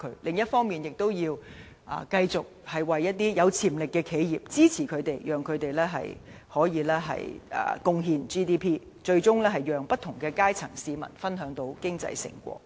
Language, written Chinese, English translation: Cantonese, 另一方面，我們應繼續支持有潛力的企業，讓他們可貢獻 GDP， 最終讓不同階層市民分享經濟成果。, On the other hand we should continue supporting enterprises with potential so that they can make their own contributions to GDP eventually enabling people from different classes to share the fruits of prosperity